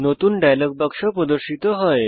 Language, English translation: Bengali, The New Contact dialog box appears